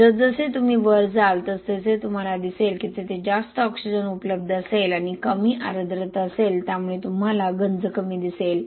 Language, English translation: Marathi, As you go deeper into the water body you will see that there will be less oxygen and more moisture because of the deficiency of oxygen there will be less corrosion